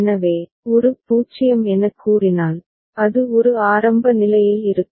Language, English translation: Tamil, So, state a 0 comes it will remain at state a initial state